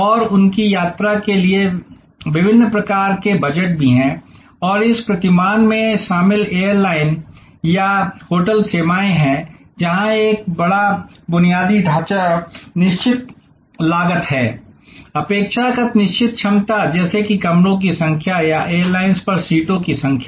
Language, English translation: Hindi, And also have different kinds of budgets for their travel and airlines or hotels involved in this paradigm are services, where there is a big infrastructure fixed cost, relatively fixed capacity like number of rooms or number of seats on the airlines